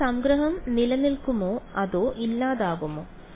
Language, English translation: Malayalam, So, will the summation remain or will it go away